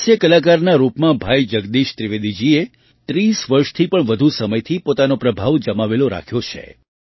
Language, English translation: Gujarati, As a comedian, Bhai Jagdish Trivedi ji has maintained his influence for more than 30 years